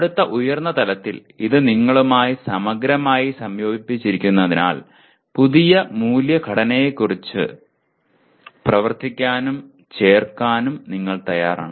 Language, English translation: Malayalam, And next higher level it is so thoroughly integrated into you that you are willing to act and link by the new value structure